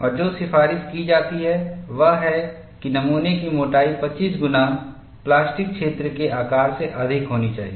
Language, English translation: Hindi, And what is recommended is, the specimen thickness should be more than 25 times of the plastic zone size